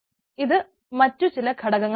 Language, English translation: Malayalam, these are different other components